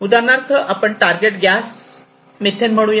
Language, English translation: Marathi, So, this target gas could be let us say methane right